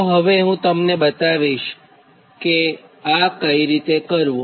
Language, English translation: Gujarati, now i will show you how to do it, right